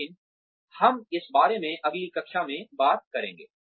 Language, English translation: Hindi, But, we will talk more about this, in the next class